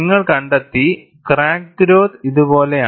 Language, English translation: Malayalam, And you find, the crack growth is something like this